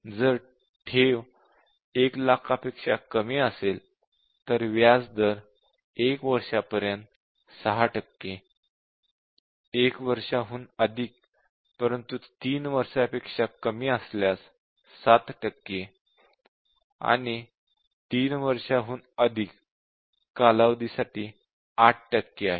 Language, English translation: Marathi, If the principal is less than 1 lakh, then 6 percent interest is payable for deposit up to 1 year and 7 percent interest is payable for deposit over 1 year but less than 3 years and 8 percent interest for deposit for 3 year and above